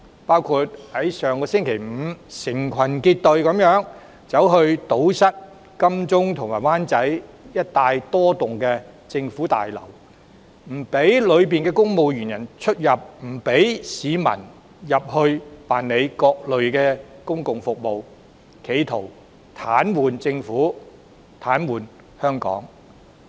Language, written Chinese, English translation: Cantonese, 上周五，示威者成群結隊堵塞金鐘及灣仔一帶多幢政府大樓，不讓大樓內的公務員出入，也不讓市民進入辦理各類手續，企圖癱瘓政府、癱瘓香港。, Last Friday groups of protesters blockaded several government buildings located in Admiralty and Wanchai preventing the civil servants working there from entering or leaving the relevant buildings while denying the public access to these buildings for completion of a myriad of formalities with a view to paralysing the Government and Hong Kong